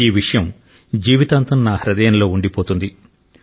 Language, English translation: Telugu, I will cherish this lifelong in my heart